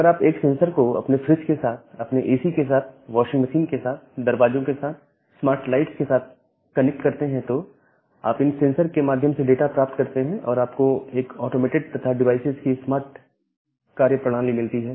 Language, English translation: Hindi, So, you connect a sensor to your fridge, to your ac, so, to your washing machine, even the doors, the lights, the smart lights, and then you can get data through those sensors and have a automated and smart operating of those devices